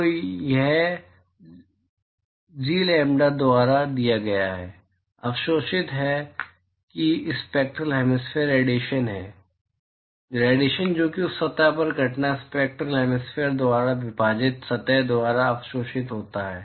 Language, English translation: Hindi, So, that is given by G lambda,absorb that is the spectral hemispherical radiation, irradiation that is absorbed by the surface divided by the spectral hemispherical that is incident to that surface